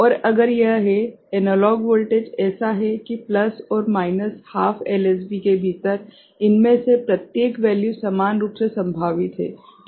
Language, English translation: Hindi, And if it is the analog voltage is such that each of these value within plus and minus half LSB is equally probable ok